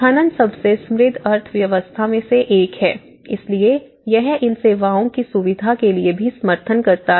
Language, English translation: Hindi, So, one is the mining being one of the richest economy, so it also supports to facilitate these services